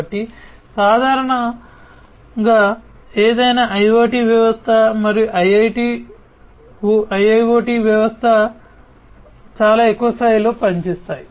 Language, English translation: Telugu, So, this is typically how any IoT system and IIoT system, at a very high level, is going to work